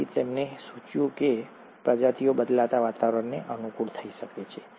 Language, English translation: Gujarati, So he suggested that the species can adapt to the changing environment